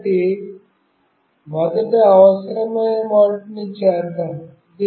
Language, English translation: Telugu, So, let me first do the needful